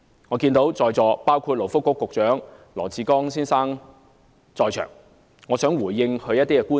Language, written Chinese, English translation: Cantonese, 我看見勞工及福利局局長羅致光先生在席，我想回應他的一些觀點。, I notice that Secretary for Labour and Welfare Dr LAW Chi - kwong is now present in the Chamber and I would like to respond to some viewpoints that he has made